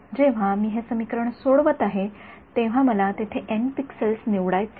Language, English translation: Marathi, When I am solving this equation, I have to choose let us there are n pixels